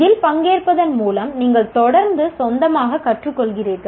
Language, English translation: Tamil, By participating in this, you are continuously learning on your own